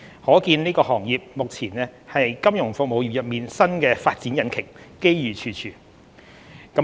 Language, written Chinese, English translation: Cantonese, 可見這個行業目前是金融服務業中新的發展引擎，機遇處處。, Evidently this sector is the new growth engine in the financial services industry offering abundant opportunities